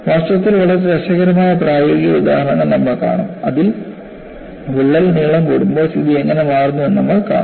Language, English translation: Malayalam, In fact, we would see very interesting practical examples, in which, how the situation changes, when the crack length is longer